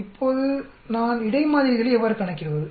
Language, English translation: Tamil, Now how do I calculate between samples what do I do